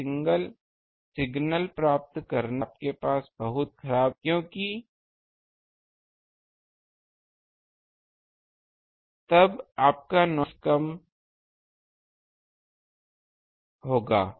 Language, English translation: Hindi, So, you should have a very poor ah antenna to receive the signal because then your noise will be less